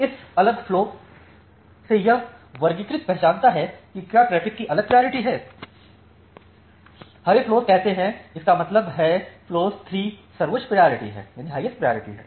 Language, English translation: Hindi, So, this from this different flows the classifier identifies that what are the different priority of traffic, say the green flow; that means, flow 3 has the highest priority